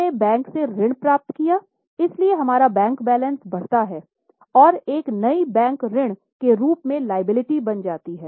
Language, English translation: Hindi, So, we have obtained loan from bank, so we receive our bank balance increases and a new liability in the form of bank loan is created